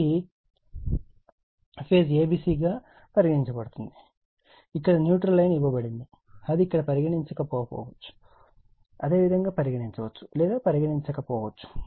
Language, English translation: Telugu, And phase a b c is given this neutral dash line is given, it may be there may not be there you right may be there or may not be there